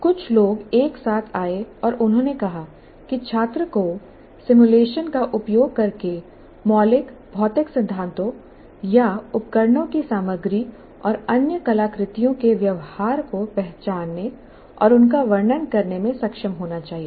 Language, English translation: Hindi, So after a few people got together and they said the student should be able to identify and describe governing fundamental physical principles or behaviors of devices, materials and other artifacts using simulations